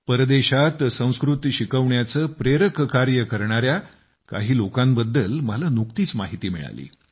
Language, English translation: Marathi, Recently, I got to know about many such people who are engaged in the inspirational work of teaching Sanskrit in foreign lands